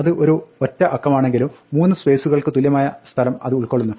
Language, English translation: Malayalam, It occupies the equivalent of three spaces though it is a single digit